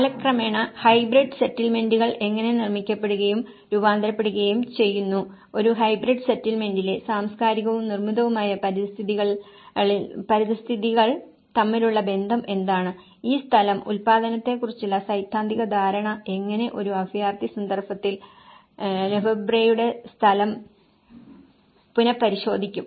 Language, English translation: Malayalam, And how hybrid settlements are produced and transformed over time, what is the relationship between the cultural and the built environments in a hybrid settlement and how the theoretical understanding of this production of space the handle Lefebvreís space could be relooked in a refugee context and how it could be understood, how it becomes a framework, how it sets a framework to understand the refugee places and how they have been produced in time